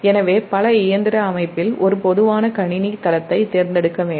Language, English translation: Tamil, so in a multi machine system, a common system base must be selected